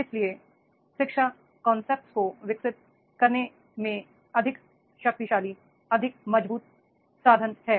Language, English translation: Hindi, So, education is more powerful, more strong instrument in developing the concepts